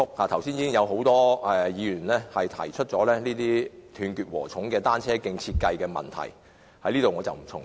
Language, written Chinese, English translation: Cantonese, 剛才已有多位議員提出這種"斷截禾蟲"的單車徑的設計問題，我在此不再重複。, Just now various Members already raised the problem with the design of such fragmented cycle tracks . I am not going to repeat it here